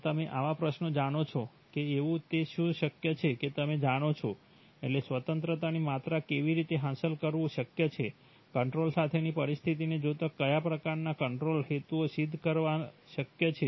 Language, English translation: Gujarati, So such questions, you know, what is possible that, you know, degrees of freedom that is, what is possible to achieve how, what kind of control objectives are possible to achieve given the situation with control